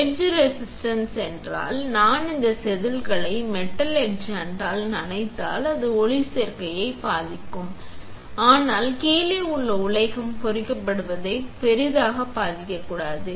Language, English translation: Tamil, Etch resistance is that if I dip this wafer in a metal etchant, then it will affect photoresist but it should not affect that greatly that the metal below it will get etched